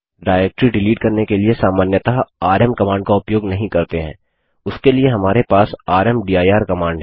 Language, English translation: Hindi, rm command is not normally used for deleting directories, for that we have the rmdir command